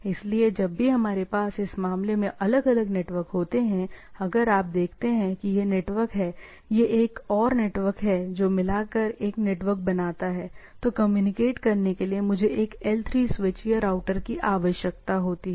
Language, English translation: Hindi, So, whenever we have different networks like in this case if you see this is a network this forms a network, this forms a network, in order to communicate I require a, L3 switch or routers